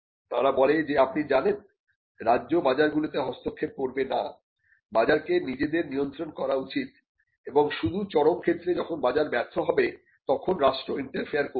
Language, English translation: Bengali, They say that you know the state will not interfere in the markets, the market should self regulate themselves and only in extreme cases where there is a market failure will the state interfere